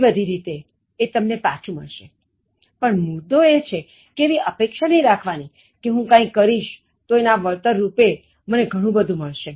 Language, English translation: Gujarati, Often in very multiple ways it gives you written but the point is it is not to expect that I will do something, and I will get so many things in return